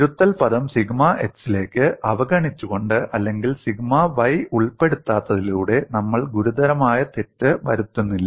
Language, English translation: Malayalam, We are not making serious error, by neglect the correction term to sigma x, or not incorporating sigma y, and another aspect also you can keep in mind